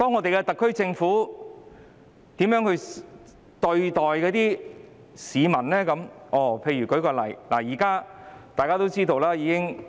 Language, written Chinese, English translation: Cantonese, 然而，特區政府對待市民時卻倒行逆施，我舉一個眾所周知的例子。, However the SAR Government treats the public in a perverse way . Let me give a well - known example